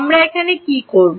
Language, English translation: Bengali, what will we do now